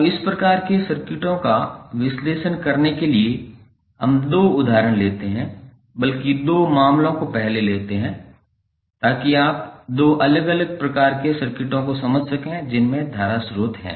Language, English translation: Hindi, Now, to analyze these kind of two circuits let us take two examples rather let us take two cases first so that you can understand two different types of circuits containing the current sources